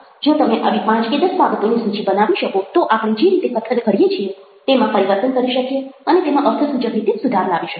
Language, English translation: Gujarati, so if you make a list of five or ten such things, probably we can transform the way we speak and we can improve it in a significant way